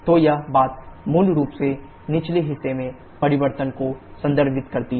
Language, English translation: Hindi, So, this thing basically refers to the changes in the lower part